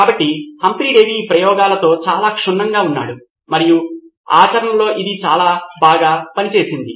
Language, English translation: Telugu, So, Humphry Davy was very thorough with this experiments and in practice it worked very well as well